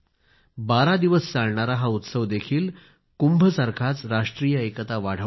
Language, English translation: Marathi, Just like the Kumbh festival, this too, encourages the concept of national unity